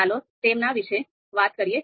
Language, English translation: Gujarati, So let us talk about them